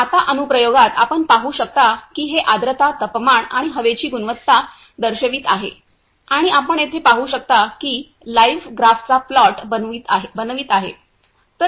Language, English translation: Marathi, in the application you can see it is showing humidity, temperature and air quality and also plotting the live graph as you can see here